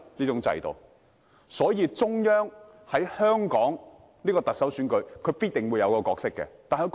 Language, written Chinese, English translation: Cantonese, 因此，中央在香港的特首選舉中必定擔當一個角色。, Therefore the Central Authorities do have a role to play in Hong Kongs Chief Executive election